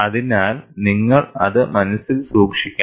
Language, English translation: Malayalam, So, you have to keep that in mind